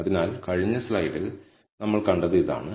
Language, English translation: Malayalam, So, this is what we saw in the last slide